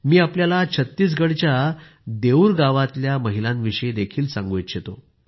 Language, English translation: Marathi, I also want to tell you about the women of Deur village of Chhattisgarh